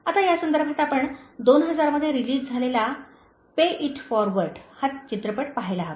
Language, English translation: Marathi, Now in this context, you should watch the movie “Pay It Forward” which was released in the year 2000